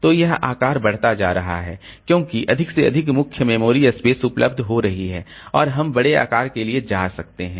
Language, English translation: Hindi, So, that size is increasing because more and more memory space is becoming available and we can go for larger page size